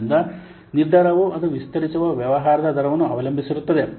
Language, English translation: Kannada, So the decision depends on the rate at which its business it expands